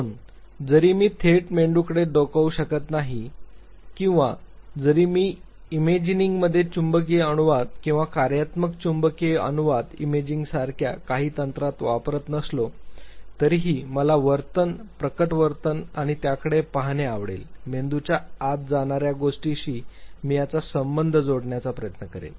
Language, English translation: Marathi, Two, even if I am not able to directly peep in to the brain or if I am not use in certain techniques like the magnetic resonance in imaging or the functional magnetic resonance imaging still I would love to look at the behavior, the manifested behavior and I would try to link it with what goes inside the brain